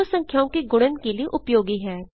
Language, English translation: Hindi, * is used for multiplication of two numbers